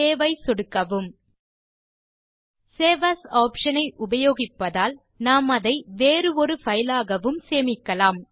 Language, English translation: Tamil, then click Save As we are using the Save As option, we can either save it as a different file or replace the same file